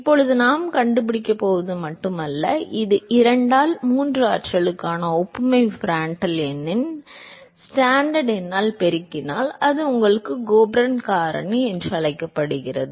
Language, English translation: Tamil, Now not just that we are also going to find, this is the analogy Prandtl number to the power of 2 by 3 multiplied by Stanton number gives you what is called the Colburn factor